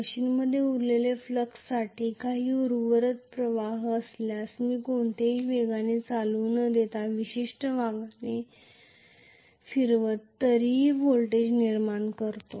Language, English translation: Marathi, If there is some remaining flux for remanent flux in the machine it will generate a voltage even when I rotate it at certain speed, without any field current